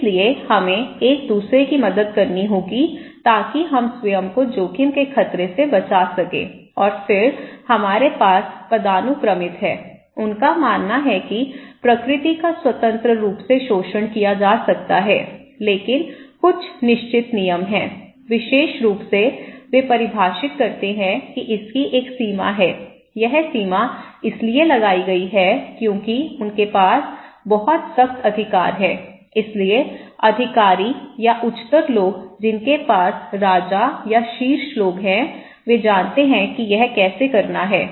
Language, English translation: Hindi, So, we have to help each other to protect as our self from the threat of hazard; from the threat of risk and then we have hierarchical okay, they believe that nature can be exploited freely but there is certain rules, particular way they define there is a limit of it, okay because this limit is put because they have a very strict authority so, the authorities or the higher people those who have or the Kings or the top people they know how to do it